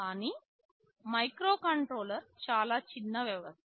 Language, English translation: Telugu, But a microcontroller is a very small system